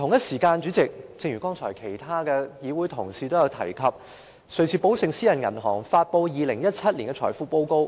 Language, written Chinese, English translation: Cantonese, 此外，正如剛才其他議會同事所述，瑞士寶盛私人銀行發表了2017年財富報告。, In addition as mentioned by other Honourable colleagues a Swiss private bank Julius Baer published the 2017 Wealth Report